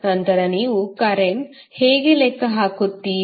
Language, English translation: Kannada, Then how you will calculate the current